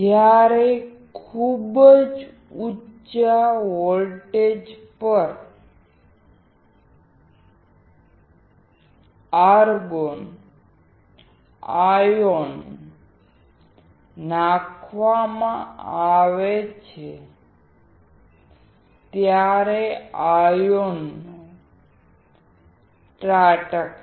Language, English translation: Gujarati, When the argon ion is inserted at very high voltage, the ions will strike